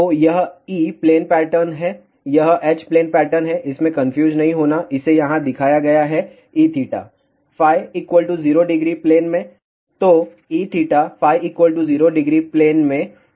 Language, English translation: Hindi, So, this is the e plane pattern this is the h plane pattern do not get confused it shows here E theta in phi equal to 0 degree plane